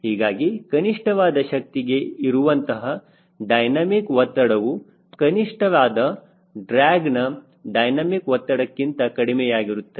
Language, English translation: Kannada, so dynamic pressure for minimum power will be less than dynamic pressure that minimum drag